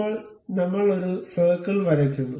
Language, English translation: Malayalam, Now, we draw a circle